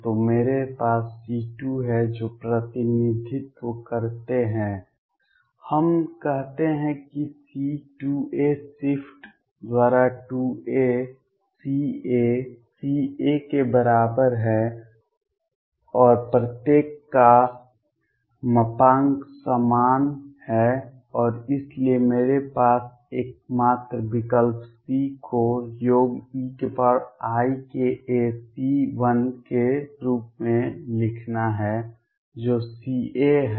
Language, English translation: Hindi, So, I have C2 which is represented let us say by C 2 a shift by 2 a is equal to C a C a and modulus of each is the same and therefore, the only choice I have is write c as some e raise to i k a C 1 which is C a